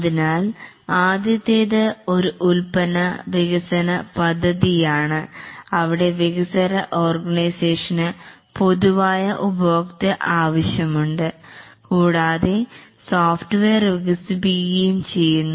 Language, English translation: Malayalam, So the first one is a product development project where the developing organization has a generic customer requirement and develops the software